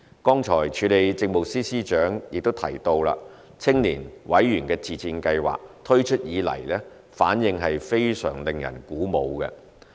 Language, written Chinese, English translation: Cantonese, 剛才署理政務司司長亦提到青年委員自薦試行計劃推出以來，反應非常令人鼓舞。, Just now the Acting Chief Secretary for Administration has also mentioned that since the launch of the Pilot Member Self - recommendation Scheme for Youth the response has been most encouraging